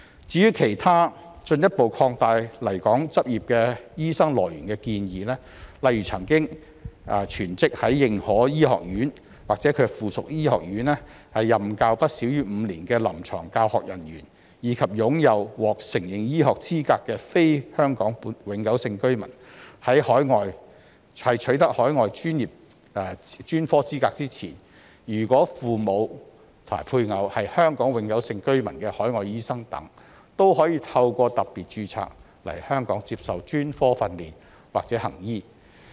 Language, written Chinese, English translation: Cantonese, 至於其他進一步擴大來港執業醫生來源的建議，例如曾經全職在認可醫學院，或其附屬醫學院任教不少於5年的臨床教學人員，以及擁有獲承認醫學資格的非香港永久性居民，在取得海外專科資格前，如果父母或配偶是香港永久性居民的海外醫生等，也可透過"特別註冊"來港接受專科訓練或行醫。, As for other proposals to further expand the sources of doctors coming to Hong Kong for practice for example clinical instructors who have taught full - time at recognized medical schools or their affiliated medical schools for at least five years and non - HKPR overseas doctors with recognized medical qualifications whose parents or spouses are HKPRs before they obtained overseas specialist qualifications etc can receive specialist training and practise in Hong Kong through the special registration scheme